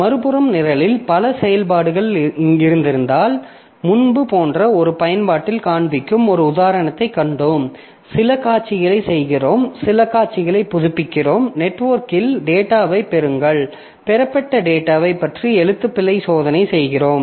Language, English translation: Tamil, On the other hand, there may be a situation where if there are multiple threads of execution in the program, like previously we have seen an example where maybe in one application we are displaying, we are doing some display, updating some display, we are doing something to fetch data over a network and we are doing a spell check on the data that is fetched